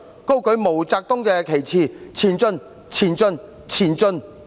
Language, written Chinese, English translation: Cantonese, 高舉毛澤東旗幟，前進，前進，前進，進！, Raise high MAO Zedongs banner! . March on! . March on!